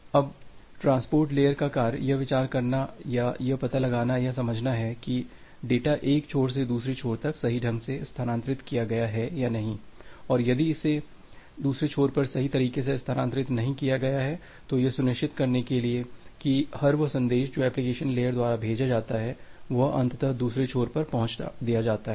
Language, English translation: Hindi, Now, the task of the transport layer is to consider that to find out or to sense whether certain data has been transferred correctly at the other end or not and if it is not transferred at the other end correctly, then apply this reliability mechanism to ensure that every message which is send by the application layer that is getting delivered at the other end eventually